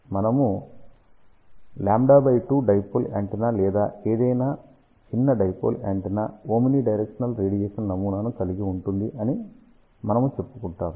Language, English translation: Telugu, Majority of the time we say lambda by 2 Dipole antenna or any small dipole antenna will have a omni directional radiation pattern